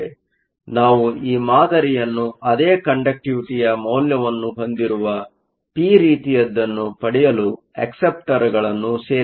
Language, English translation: Kannada, So, we are going to add acceptors to make this sample p type with having the same conductivity value